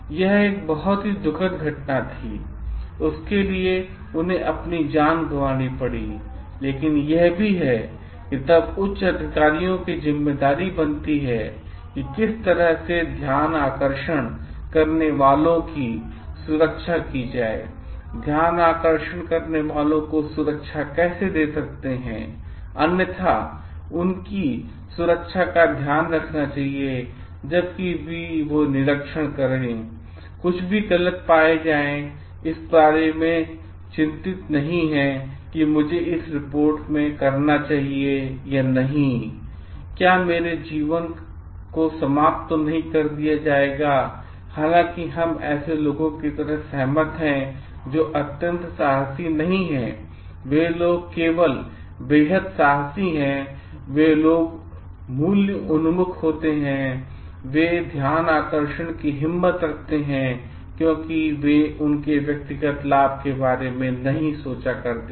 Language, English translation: Hindi, Now, it is a very sad incident that he has suffered his lost his life for it, but it also becomes then the responsibility of the higher authorities to like how to protect the whistleblowers, how to give safety to the whistleblowers also which otherwise like if which like should take care of their safety and security, so that whenever they observe something wrong practices done, they are not worried about whether I should report or not, is it going to cost my life or not though like we agree like people who are not extremely courageous, people who are very very like those who are only extremely courageous to value oriented, they do have the courage to become whistleblowers because they do not think of their personal benefits